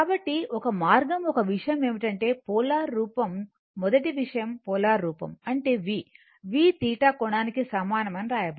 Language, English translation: Telugu, So, one way one one thing is that polar form, I mean first thing is the polar form if you write v is equal to V angle theta